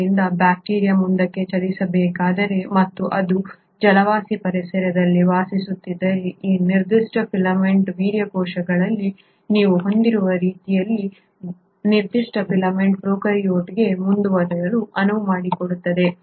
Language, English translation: Kannada, So if a bacteria has to move forward and it is residing in an aquatic environment for example, this particular filament, the way you have it in sperm cells, this particular filament allows the prokaryote to move forward